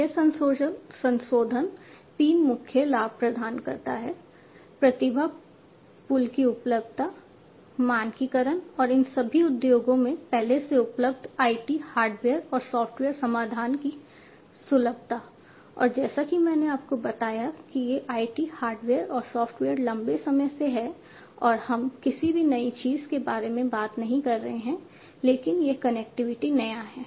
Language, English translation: Hindi, So, this modification gives three main benefits availability of talent pool, standardization, and accessibility of already available IT hardware and software solution in all these industries, and as I told you these IT hardware and software has been there since long and we are not talking about anything new now, but this connectivity is new